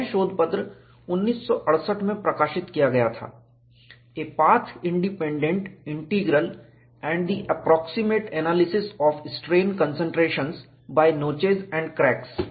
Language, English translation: Hindi, This was the paper published in 1968, 'A path independent integral and the approximate analysis of strain concentrations by notches and cracks'